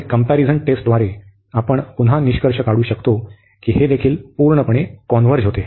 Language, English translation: Marathi, And by the comparison test, we can again conclude that this also converges absolutely